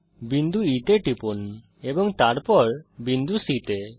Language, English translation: Bengali, Click on the point E and then on point C